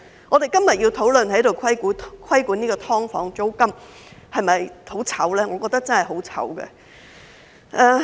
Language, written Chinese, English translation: Cantonese, 我們今天要在這裏討論規管"劏房"租金，是否感到很羞耻呢？, Is it a shame for us to discuss here today regulation of the rent of SDUs?